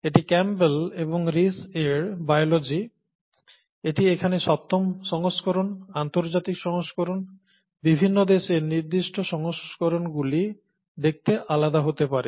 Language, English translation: Bengali, It's, “Biology” by Campbell and Reece, this is the seventh edition here, this is the international edition; the, country specific editions may look different